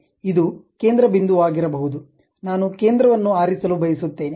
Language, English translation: Kannada, This might be the center point, I would like to pick pick center